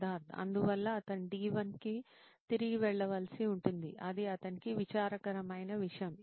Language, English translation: Telugu, So he will have to he will have to go back to D1 that is a sad thing for him